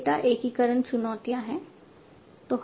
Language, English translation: Hindi, There are data integration challenges